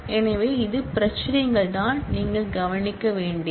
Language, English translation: Tamil, So, these are the issues that necessarily you will have to be addressed